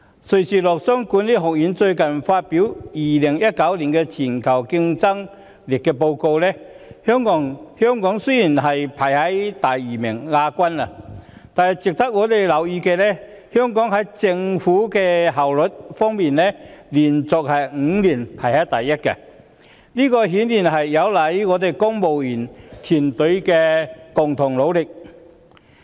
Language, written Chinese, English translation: Cantonese, 瑞士洛桑國際管理發展學院最近發表了 "2019 年全球競爭力報告"，雖然香港是只排名第二，但值得我們留意的是，香港在政府效率方面連續5年排在首位，這顯然有賴公務員團隊的共同努力。, Recently the Institute for Management Development in Lausanne of Switzerland has published the World Competitiveness Yearbook 2019 . Although Hong Kong only ranked second it is noteworthy that we topped the ranking for five consecutive years in government efficiency which obviously hinges on the concerted effort of the civil service